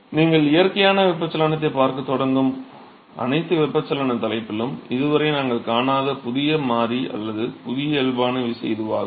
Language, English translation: Tamil, So, that is the new variable or new body force term that we did not see so far in all the convection topic that you start seeing natural convection